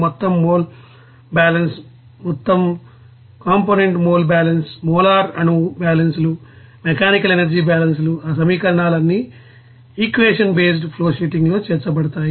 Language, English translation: Telugu, And total mole balance, total you know component mole balance, molar atom balances, mechanical energy balance, all those equations to be incorporated there in equation based flowsheeting